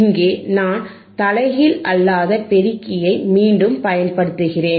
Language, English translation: Tamil, Here I have am using again a non inverting amplifier, right again